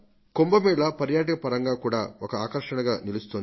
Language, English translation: Telugu, The Kumbh Mela can become the centre of tourist attraction as well